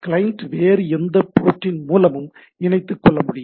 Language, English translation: Tamil, Client can connect through any other port, right